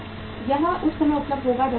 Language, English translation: Hindi, It will be available at the time when the crop is there